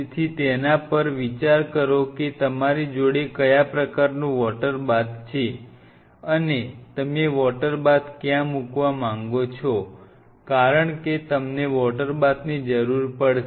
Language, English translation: Gujarati, So, think over its what kind of water bath you are going and where you want to place the water bath because you will be needing water bath